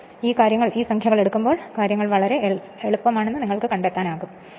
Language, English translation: Malayalam, When you will take numericals at the time you will find things are much easier right